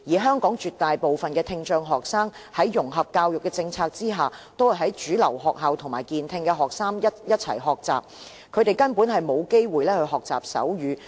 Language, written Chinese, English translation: Cantonese, 香港絕大部分的聽障學生在融合教育的政策下，都在主流學校與健聽學生一同學習，他們根本沒有機會學習手語。, Under the integrated education policy the majority of the students with hearing impairment in Hong Kong are receiving education in mainstream schools together with normal - hearing students . They simply do not have any opportunities to learn sign language